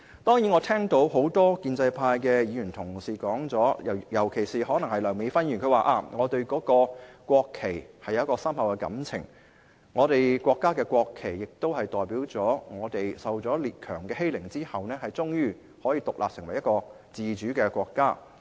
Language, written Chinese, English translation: Cantonese, 當然，我聽到很多建制派的議員，尤其是梁美芬議員說她對國旗有深厚的感情，我們國家的國旗代表了我們經受列強欺凌後，終於成為一個獨立自主的國家。, Of course I have heard the remarks made by many pro - establishment Members particularly Dr Priscilla LEUNG who said that she has deep feelings towards the national flag and that our national flag represents the development of our country into an independent autonomous nation ultimately after being bullied by the great powers